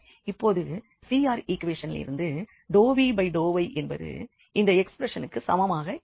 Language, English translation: Tamil, So, hence now we have out of the CR equation that del v over del y is equal to this here this expression